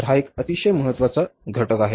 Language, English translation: Marathi, So, this is a very important factor